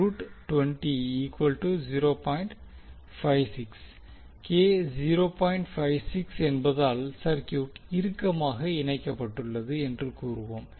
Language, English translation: Tamil, 56, we will say that the circuit is tightly coupled